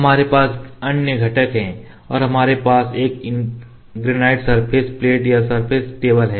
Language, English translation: Hindi, Other components we have this software and we have this granite surface plate or surface table here